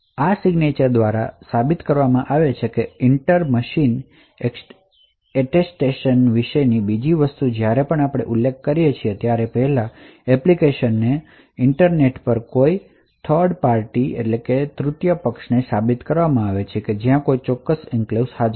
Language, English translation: Gujarati, So, this is done by the signatures and the second thing about the inter machine Attestation whereas we mention before the application could actually prove to a third party over the internet that it has a specific enclave